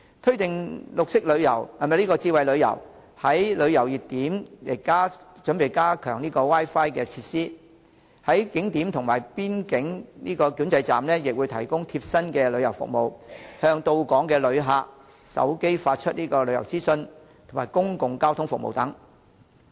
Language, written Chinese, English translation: Cantonese, 推動智慧旅遊，在旅遊熱點加強 Wi-Fi 設施、在景點及邊境管制站提供貼身的旅遊服務，向到港旅客手機發出旅遊資訊、公共交通服務等。, To promote smart tourism Wi - Fi facilities in tourist hotspots will be improved tailor - made travel facilitation services will be provided at tourist attractions and border control points and tourist information and public transport information will be sent to inbound tourists mobile phones